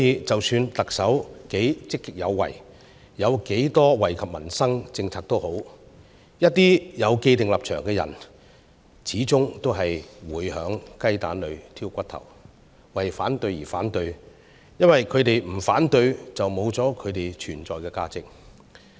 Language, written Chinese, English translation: Cantonese, 即使特首多麼積極有為，推出了不少惠及民生的政策，一些有既定立場的人，始終會在雞蛋裏挑骨頭，為反對而反對，因為他們不反對便會喪失他們存在的價值。, Even though the Chief Executive is proactive and has introduced numerous policies to improve peoples livelihood some Members with predetermined stances still pick bones from eggs and oppose for the sake of opposing because they will lose their value of existence if they do not raise objection